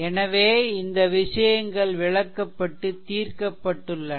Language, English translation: Tamil, So, all this things have been explained and solve